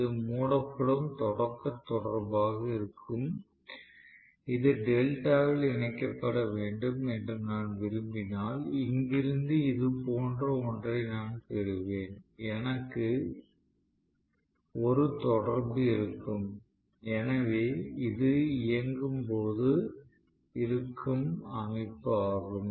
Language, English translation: Tamil, So this will be the starting contactor which will be closed and if I want really this to be connected in delta, I will have something like this from here I will have one contactor, so this will be during running right